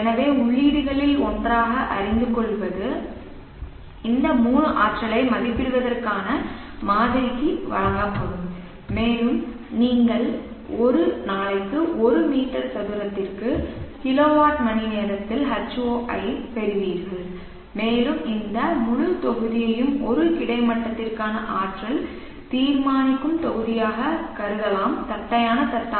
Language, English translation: Tamil, as one of the inputs these 3 will be given to the model for estimating the energy and you will get H0 in kilowatt hours per meter square per day and this whole block algorithmically can be considered as the energy determining module for a horizontal flat plate